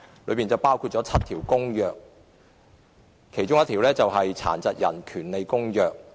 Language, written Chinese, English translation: Cantonese, 當中有7項公約，其中之一是《殘疾人權利公約》。, There are seven conventions one of which is the Convention on the Rights of Persons with Disabilities